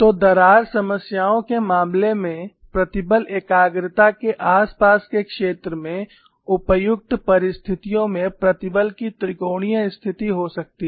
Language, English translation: Hindi, So, in the case of crack problems near the vicinity of the stress concentration, you could have under suitable circumstances a triaxial state of stress